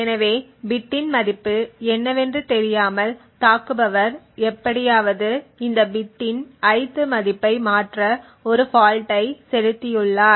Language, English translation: Tamil, So without knowing the bit what the value of the bit is the attacker has somehow injected a fault to toggle the ith value of this bit